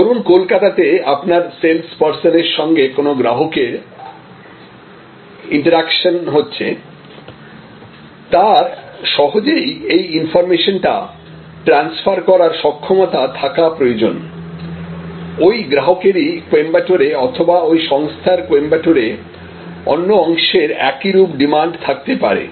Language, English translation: Bengali, So, a customer, your sales person who is having an introduction with the customer in Calcutta should be able to easily transfer this information, that the same customer in Coimbatore or one another part of that organization in Coimbatore may have a similar demand